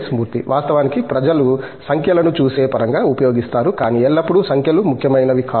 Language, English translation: Telugu, Of course, people use numbers as a way of looking at it, but not always numbers are important